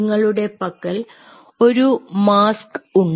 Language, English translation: Malayalam, so you have a mask